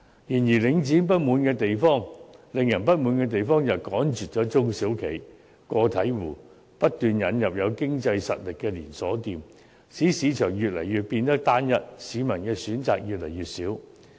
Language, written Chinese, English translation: Cantonese, 然而，領展令人不滿的地方是它趕絕了中小型企業和個體戶，不斷引入有經濟實力的連鎖店，使市場越來越單一，市民的選擇越來越少。, However the greatest grudge against Link REIT is its driving away of the small and medium enterprises as well as individual operators and continued introduction of chain stores with financial strength thus making the market increasingly homogeneous and leaving members of the public with fewer choices